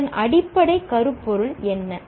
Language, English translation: Tamil, What was the underlying theme of